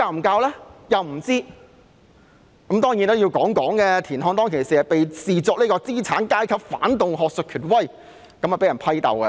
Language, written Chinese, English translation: Cantonese, 當然，我也要說說，田漢當時被視作資產階級反動學術權威而被批鬥。, Of course I have to tell everyone here that TIAN Han was denounced as a bourgeois reactionary academic authority at the time